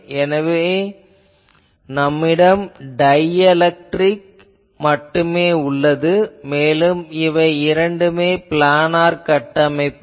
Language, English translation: Tamil, So, you have only dielectric and they both are planar structures